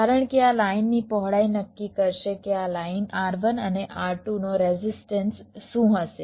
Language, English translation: Gujarati, because width of this line will determine what will be the resistance of this lines r one and r two, right